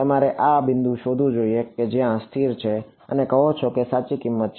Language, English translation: Gujarati, You should look for this point which has where it has stabilized and say that this is the correct value